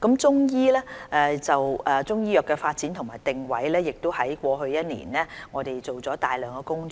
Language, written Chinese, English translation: Cantonese, 就中醫藥的發展和定位，我們在過去一年做了大量工作。, As for the positioning and development of Chinese medicine we have done a lot of work over the past year